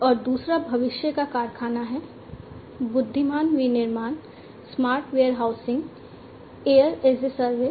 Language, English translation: Hindi, And second is factory of future, intelligent manufacturing, smart warehousing, air as a service